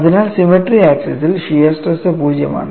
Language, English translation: Malayalam, So, on the axis of symmetry, shear stress is 0